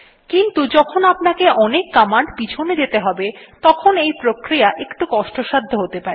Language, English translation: Bengali, But when you have to scroll through many commands this becomes a little clumsy and tedious